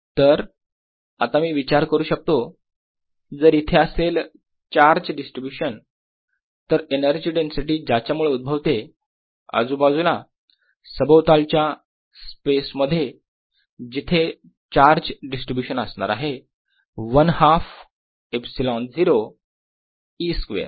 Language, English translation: Marathi, so now i can think: if there is a charge distribution, alright, then the energy density that it gives rise to all around, including space in which this charge distribution itself sits, is equal to one half epsilon zero e square